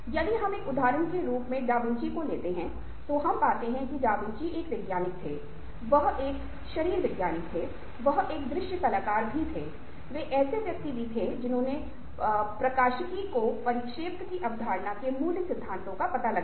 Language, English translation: Hindi, if we take ah as an example the case of its a da vinci, then we find that da vinci was, ah, a scientist, he was an anatomist, he was also a visual artist, he was also person who explored optics, the fundamentals of concept, of perspective, and so on and so forth